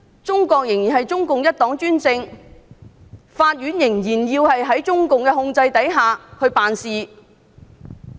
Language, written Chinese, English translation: Cantonese, 中國仍然是中共一黨專政，法院仍然在中共的控制下辦事。, China is still under the one - party rule of the Communist Party of China CPC with its court under the control of CPC